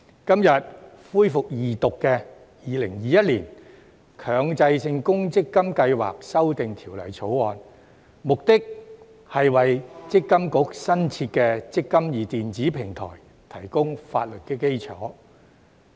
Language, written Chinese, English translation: Cantonese, 今天恢復二讀的《2021年強制性公積金計劃條例草案》，目的是為強制性公積金計劃管理局新設的"積金易"電子平台提供法律基礎。, The Mandatory Provident Fund Schemes Amendment Bill 2021 the Bill the Second Reading of which resumes today seeks to provide a legal basis for the eMPF electronic platform newly established by the Mandatory Provident Fund Schemes Authority MPFA